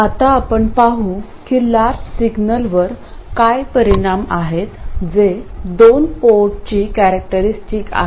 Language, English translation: Marathi, Now, let's see what the implications are on the large signal that is total characteristics of the two port